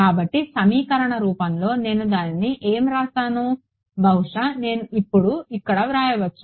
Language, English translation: Telugu, So, in the equation form what will I write it as, I will maybe I can write it over here now